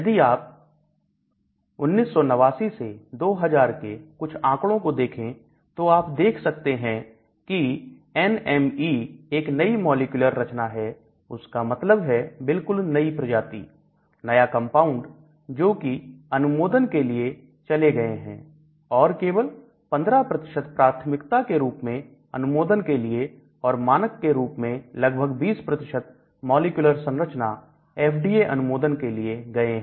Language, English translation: Hindi, So, if you look at some statistics, 1989 to 2000 statistics, as you can see, NME is new molecular entities that means totally new species, new compounds which has gone for approval and only about 15% has gone for an approval as a priority and about 20% as standard new molecular entities for approval from the FDA